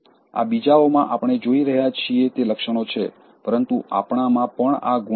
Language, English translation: Gujarati, These are traits we are seeing in others, but we may be possessing those traits also